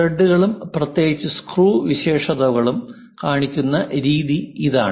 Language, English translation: Malayalam, This is the way ah threads and special screw features we will show it